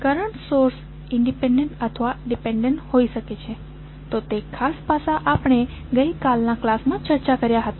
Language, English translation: Gujarati, Current source may be the independent or dependent, so that particular aspect we discussed in yesterday’s class